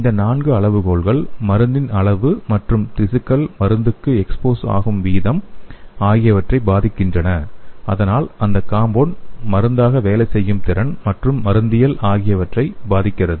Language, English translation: Tamil, These four criteria influence the drug levels and kinetics of drug exposure to the tissues and thus it influence the performance and pharmacological of the compound as a drug